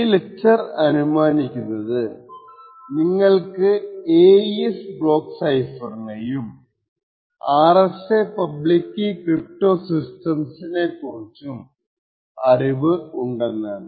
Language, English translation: Malayalam, So this video lecture assumes that you have decent background about the AES block cipher and you also know a little bit about the RSA public key cryptosystem